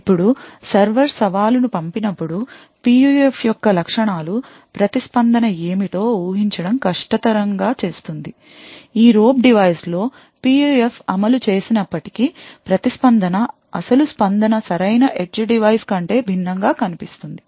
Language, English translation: Telugu, Now when the server sends the challenge, the properties of the PUF would make it difficult to predict what the response would be further, even if the PUF is implemented in this robe device the response will look quite different than what the original response was from the correct edge device